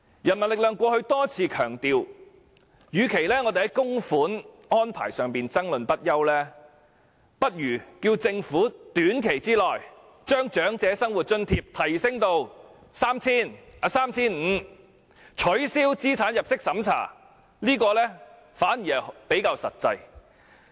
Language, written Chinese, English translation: Cantonese, 人民力量過去多次強調，與其就供款安排爭論不休，不如要求政府在短期內把長者生活津貼的金額提升至 3,500 元，並取消資產入息審查，這樣做反而比較實際。, The People Power has repeatedly emphasized that instead of arguing endlessly about the contribution arrangement we had better request the Government to raise the rate of OALA to 3,500 in the short term and abolish the means test